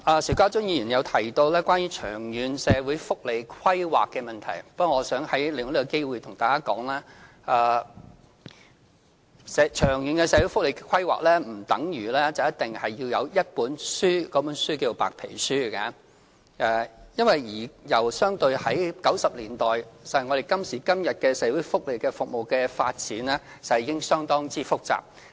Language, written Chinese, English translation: Cantonese, 邵家臻議員提到長遠社會福利規劃的問題。我想利用這個機會向大家說，長遠社會福利規劃並不等於一定要有一本書或所謂的白皮書，因為相對於1990年代，今時今日的社會福利服務的發展，實際上已經相當複雜。, As regards the problem raised by Mr SHIU Ka - chun concerning long - term social welfare planning I would like to take this opportunity to explain that long - term welfare planning does not mean that a book or so - called white paper must be published because compared to the 1990s the development of social welfare services nowadays is already quite complicated